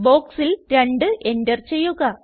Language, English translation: Malayalam, Enter 2 in the box